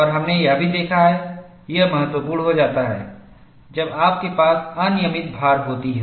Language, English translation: Hindi, And we have also seen, this becomes significant, when you have random loading